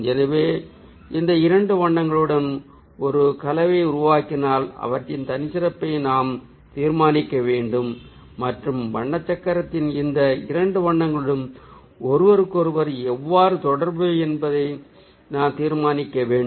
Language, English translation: Tamil, so if we create ah combination with this two colors ah, we also need to judge their characteristic and how these two colors are related to each other in the color wheel